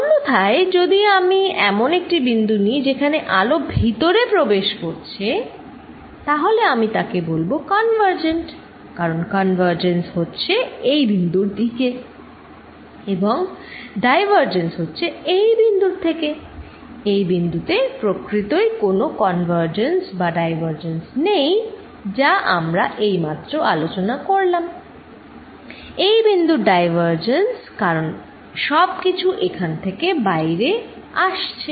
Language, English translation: Bengali, On the other hand, if I take a point here we are all the light is coming in, then I will say this is convergent as converging to this point is diverging from this point, here at this point there is really no convergence and divergence they could be as we just discussed divergence of this point, because everything is coming out of here